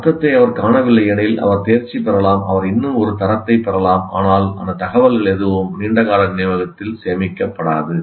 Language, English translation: Tamil, If he doesn't find meaning, you may pass, you may get still a grade, but none of that information will get stored in the long term memory